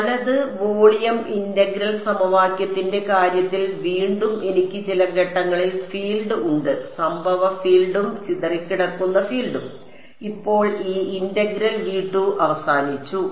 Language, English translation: Malayalam, Right and in the case of the volume integral equation again I have the field at some point is incident field plus scattered field, now this integral is over V 2